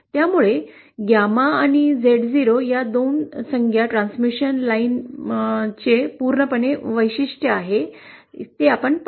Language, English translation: Marathi, So we will see that these 2 terms, gamma and Z0, they completely characterise the transmission line